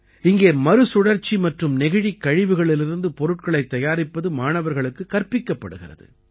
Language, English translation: Tamil, Here students are also taught to make products from recycling and plastic waste